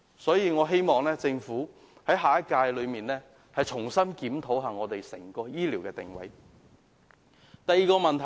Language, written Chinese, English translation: Cantonese, 所以，我希望下屆政府重新檢討整個醫療體系的定位。, Hence I hope that the Government of the next term will re - examine the positioning of our health care system